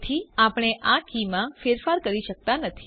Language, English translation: Gujarati, Hence, we cannot modify this key